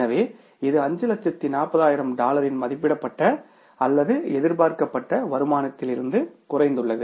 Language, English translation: Tamil, So, it has come down from the estimated or the expected income of the $540,000